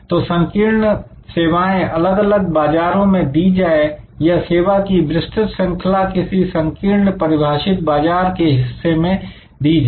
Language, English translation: Hindi, So, either narrow service offering to many different types of markets or wide range of services offered to a narrowly defined market segment